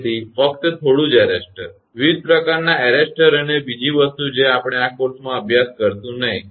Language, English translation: Gujarati, So, only little bit arrestor, different type of arrest another thing we will not study in this course